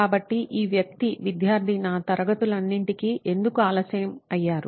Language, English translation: Telugu, So why was this guy student late to all my classes